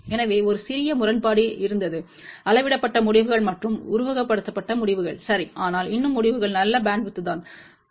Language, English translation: Tamil, So, there was a small discrepancy in the measured results and simulated results ok, but still the results were fairly good bandwidth is of the order of 19